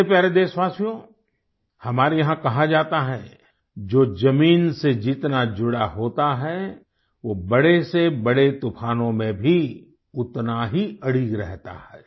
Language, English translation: Hindi, My dear countrymen, it is said here that the one who is rooted to the ground, is equally firm during the course of the biggest of storms